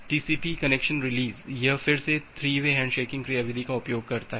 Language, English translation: Hindi, Now, TCP connection release it again uses the 3 way handshaking mechanism